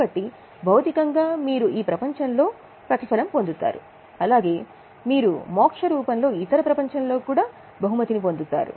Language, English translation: Telugu, So materially because you will get reward in this world, you will also get reward in the form of Muksha or in other world